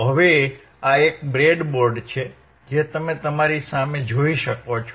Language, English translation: Gujarati, So, now, this is a breadboard that you can see in front of you right